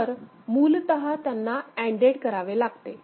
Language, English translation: Marathi, So, basically the number of they need to be ANDed